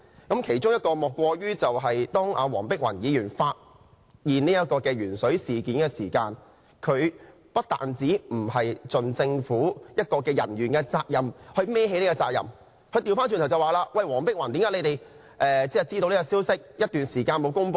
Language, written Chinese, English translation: Cantonese, 最佳例子莫過於當黃碧雲議員揭發鉛水事件的時候，馮煒光不單沒有做政府人員應做的事，去承擔責任，反過來說："黃碧雲議員，為何你們知道這個消息一段時間都沒有公布？, The best example must be the incident involving Dr Helena WONG . When the lead - in - water incident was uncovered by Dr Helena WONG Andrew FUNG failed to accept responsibility though civil servants are obliged to do so . On the contrary he said to this effect Dr Helena WONG why did it take so long for you to break the news?